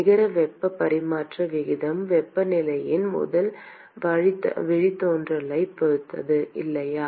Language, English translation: Tamil, The net heat transfer rate depends upon the first derivative of the temperature, right